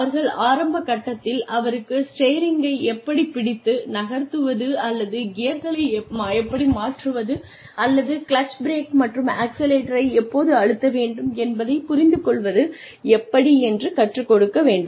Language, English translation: Tamil, Initially, the person needs to be taught, how to get comfortable, with moving the steering wheel, or with changing gears, or with understanding when to press the clutch, brake, and accelerator